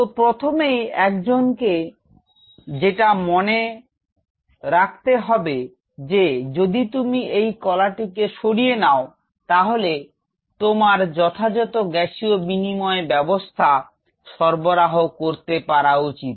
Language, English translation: Bengali, So, first thing what one has to keep in mind if you are taking out this tissue out here and you should be able to provide right milieu of gaseous exchange